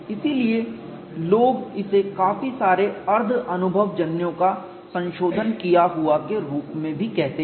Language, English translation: Hindi, So, people also call it as several semi empirical improvements have been made